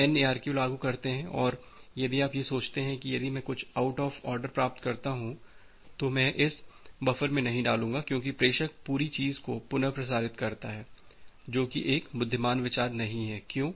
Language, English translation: Hindi, So, if you are applying this go back N ARQ and if you just think of that well, if I am receiving something out of order I will not put it in the buffer because anyway the sender will retransmit the entire thing all together; that is not a wise idea